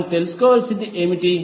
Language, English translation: Telugu, What we need to find out